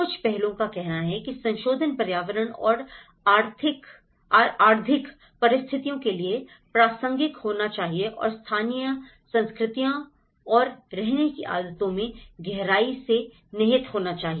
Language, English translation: Hindi, Some of the aspects says the revision should be relevant to environmental and economic circumstances and deeply rooted in local cultures and living habits